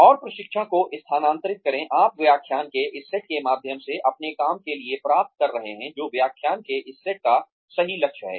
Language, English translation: Hindi, And, transfer the training, you are getting through this set of lectures, to your work, which is the goal of this set of lectures